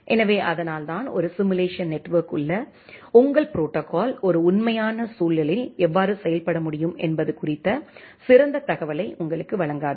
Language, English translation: Tamil, So, that is why many of the time a simulated network does not give you an ideal information about how your protocol can perform in a real environment